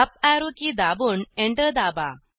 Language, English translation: Marathi, Press the uparrow key and press Enter